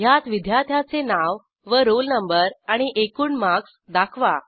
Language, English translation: Marathi, *In this, display the name, roll no, total marks of the student